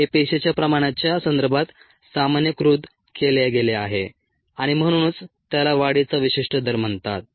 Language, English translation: Marathi, it is been normalized with respective cell concentration and therefore it is called the specific growth rate